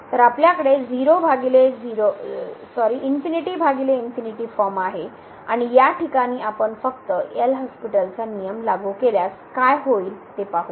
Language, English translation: Marathi, So, we have the infinity by infinity form and in this case if we simply apply the L’Hospital’s rule what will happen